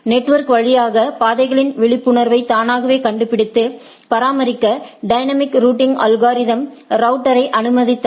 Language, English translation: Tamil, Dynamic route algorithms allowed router to automatically discover and maintain the awareness of the paths through the network right